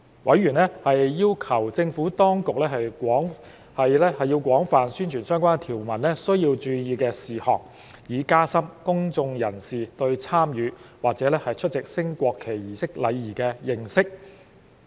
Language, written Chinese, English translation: Cantonese, 委員要求政府當局廣泛宣傳相關條文需注意的事項，以加深公眾人士對參與或出席升國旗儀式的禮儀的認識。, Members have requested the Administration to widely publicize the points to note with regard to relevant provision to enhance the publics understanding of the etiquette for taking part in or attending a national flag raising ceremony